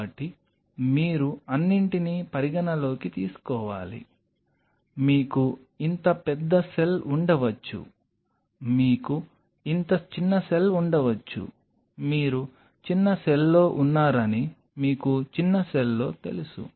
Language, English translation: Telugu, So, you have to take everything into account you may have a cell this big you may have cell this small you are in a smaller cell you know in a smaller cell